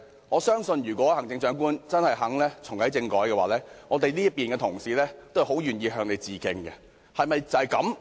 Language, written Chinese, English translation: Cantonese, 我相信，如果行政長官真的願意重啟政改，我們這邊的同事都很樂意向她致敬。, I am sure if the Chief Executive is really willing to reactivate constitutional reform my colleagues on this side will all be very happy to salute her